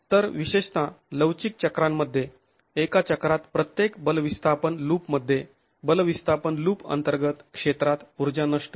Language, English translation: Marathi, So, particularly in the inelastic cycles, in each force displacement loop in a cycle, the area under the force displacement loop is the energy dissipated